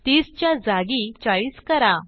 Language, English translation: Marathi, Change 30 to 40